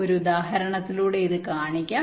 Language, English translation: Malayalam, i shall be showing this with an example